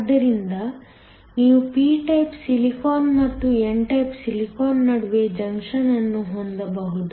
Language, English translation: Kannada, So, you could have a junction between p type silicon and n type silicon